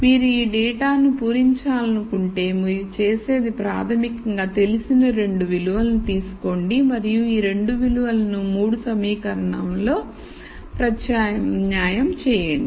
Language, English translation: Telugu, Then if you want to fill this data what you do is basically take these two known values and substitute these two values into the 3 equations